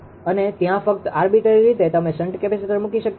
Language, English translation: Gujarati, And there just arbitrarily you cannot put shunt capacitor